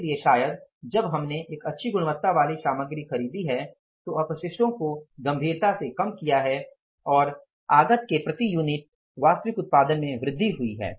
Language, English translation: Hindi, So, maybe when we have purchased a good quality material, wastages have been reduced seriously and the actual output of per unit of the input has gone up so the total requirement of the material has automatically gone down